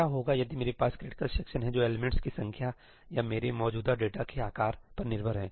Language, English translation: Hindi, What if I have critical sections which are dependent on the number of elements or the size of the data that I have